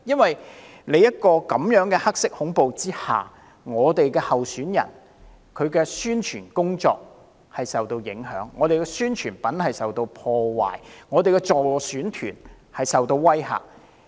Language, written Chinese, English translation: Cantonese, 在這樣的"黑色恐怖"之下，我們候選人的宣傳工作受到影響，我們的宣傳品受到破壞，我們的助選團受到威嚇。, Given such black terror the publicity work of our candidates was affected our promotional materials damaged and our electioneering teams were threatened